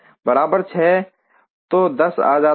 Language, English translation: Hindi, So 10 goes